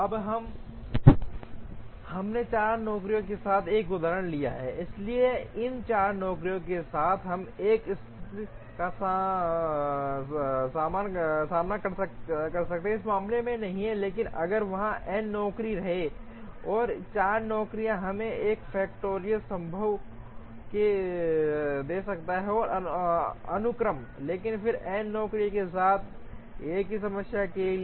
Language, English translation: Hindi, Now, we took an example with 4 jobs, so with these 4 jobs we may encounter a situation not in this case, but if there are n jobs, these 4 jobs could give us 4 factorial possible sequences, but then for another problem with n jobs